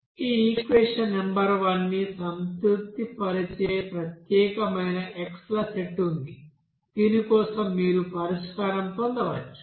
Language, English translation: Telugu, So there is a unique set of this x’s that satisfy this equation number one for which you can get the solution